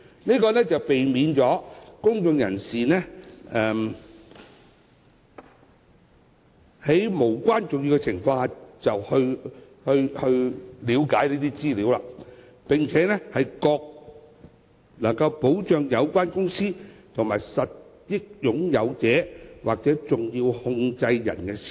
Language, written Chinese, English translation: Cantonese, 此舉避免公眾人士在無關重要的情況下查閱這方面的資料，亦能保障有關公司和實益擁有者或重要控制人的私隱。, With the public barred from accessing such information for trivial matters the privacy of the beneficial owners or significant controllers of a company is protected